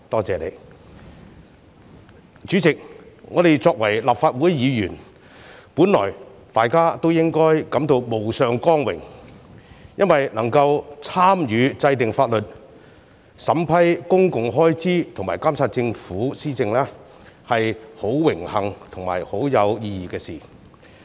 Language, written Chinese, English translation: Cantonese, 主席，我們身為立法會議員，本來應該感到無上光榮，因為能夠參與制定法律、審批公共開支和監察政府施政，是十分榮幸和有意義的事情。, President in our capacity as the Legislative Council Members we should feel the honour as we can participate in the law - making process examine public spending and monitor the Governments policy implementation . It is an honour for us to carry out these meaningful tasks